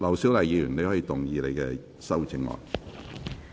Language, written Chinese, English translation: Cantonese, 劉小麗議員，你可以動議你的修正案。, Dr LAU Siu - lai you may move your amendment